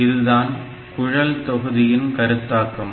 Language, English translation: Tamil, So, this is the concept of pipelining